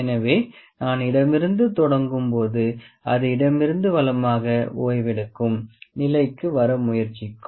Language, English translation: Tamil, So, when I start from the left it will try to come to the relax position from left to right